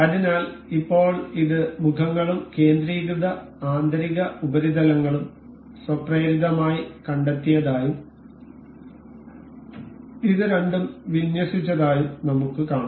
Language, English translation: Malayalam, So, now, we can see it has automatically detected the faces and the concentric inner surfaces and it has aligned the two